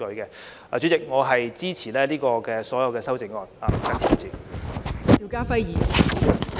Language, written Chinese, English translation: Cantonese, 代理主席，我謹此陳辭，支持所有修正案。, With these remarks Deputy Chairman I support all the amendments